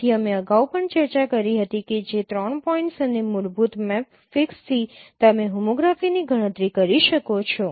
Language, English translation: Gujarati, So, we discussed earlier also that given three points and fundamental matrix you can compute the homography